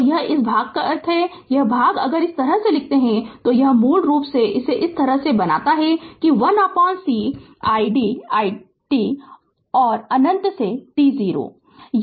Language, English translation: Hindi, So, and this this part that means, this part if we write like this, this basically if you make it like this that 1 upon c id dt and minus infinity to t 0 right